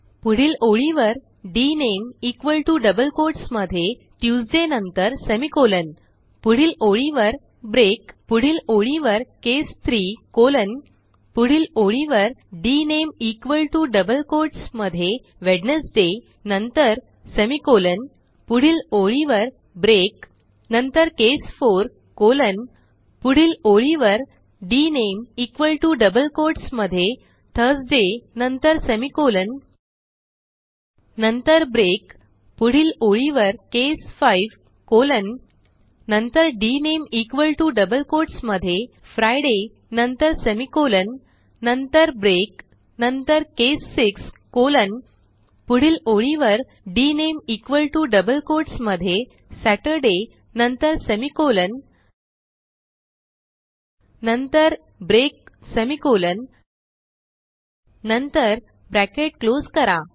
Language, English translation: Marathi, Next line type case 1 colon next line dName equal to within double quotes Monday semicolon Next line type break Then type case 2 colon Next line dName equal to Tuesday then semicolon Next line type break Then next line case 3 colon Next line type dName equal to within double quotes Wednesday then semicolon Next line type break Thencase 4 colon Next line dName equal to within double quotes Thursday then semicolon Thenbreak 00:03:32 00:03:24 Then next line typecase 5 colon dName equal to within double quotes Friday then semicolon Thenbreak Then case 6 colon Next line type dName equal to within double quotes Saturday then semicolon Then type break semicolon Then close the brackets